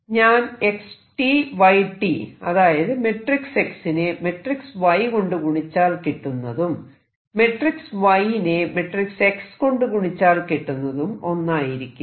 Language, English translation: Malayalam, If I take xt yt, which is the matrices multiplication of X matrix and Y matrix it is not the same as Y X as we know from matrix algebra